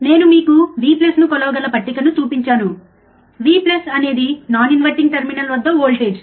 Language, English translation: Telugu, I have shown you the table where you can measure V plus, which is voltage at and non inverting non inverting terminal,